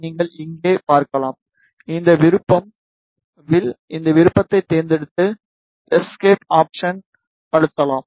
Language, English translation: Tamil, You can see here, this option is arc, select this option, then press escape